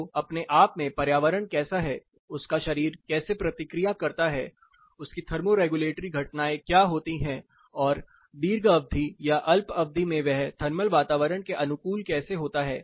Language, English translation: Hindi, So, how the environment by itself is how his body reacts, what is his thermo regulatory phenomena plus how in long term or short term he adapts to the thermal environment